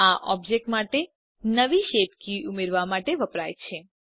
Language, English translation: Gujarati, This is used to add a new shape key to the object